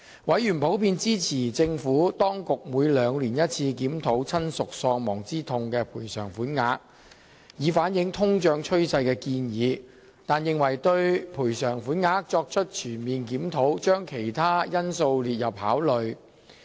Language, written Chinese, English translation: Cantonese, 委員普遍支持政府當局建議每兩年檢討一次檢討親屬喪亡之痛賠償款額，以反映通脹趨勢，但認為當局應就賠償款額作出全面檢討，將其他因素納入考慮之列。, Members in general supported the Administrations conducting biennial reviews of the bereavement sum to reflect the inflation trend . However they opined that the authorities ought to comprehensively review the bereavement sum taking into account other factors as well